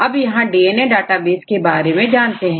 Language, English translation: Hindi, So, I will move on to little bit about the DNA databases